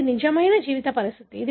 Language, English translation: Telugu, This is a real life situation